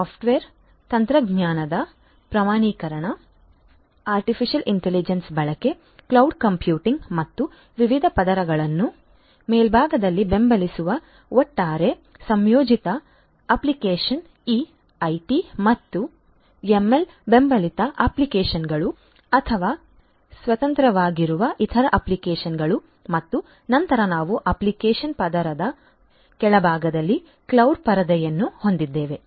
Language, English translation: Kannada, Standardization of software technology use of artificial intelligence, cloud computing, etcetera and to have overall integrated application supporting different layers at the very top would be these AI and ML supported applications or maybe standalone other applications as well and thereafter we have the cloud layer at the bottom of the application layer